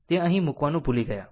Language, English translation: Gujarati, I forgot to put it here